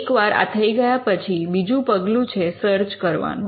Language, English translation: Gujarati, Once this is done, the second step will be to actually do the search